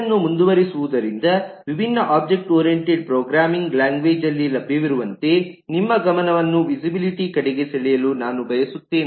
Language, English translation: Kannada, continuing on this eh, I would just like to draw your attention to eh the visibility as is available in different object oriented programming languages